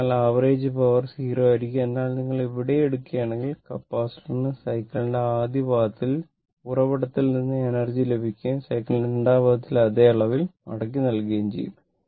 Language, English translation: Malayalam, So, average power will be 0, but if you take the here also, the capacitor receives energy from the source during the first quarter of the cycle and returns to the same amount during the second quarter of cycle